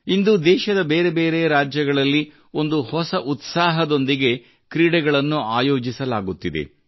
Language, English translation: Kannada, Today, sports are organized with a new enthusiasm in different states of the country